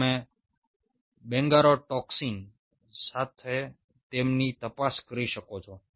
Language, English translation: Gujarati, you can probe them with bungarotoxin